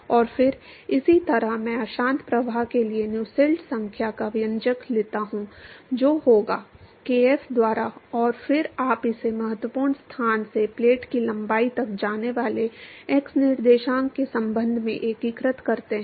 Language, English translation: Hindi, And then similarly I take the expression of Nusselts number for turbulent flow that will be; by kf and then you integrate that with respect to x coordinate going from the critical location to the length of the plate